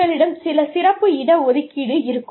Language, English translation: Tamil, You would have, some special reservation